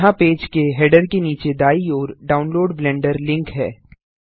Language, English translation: Hindi, Here is a Download Blender link right below the header of the page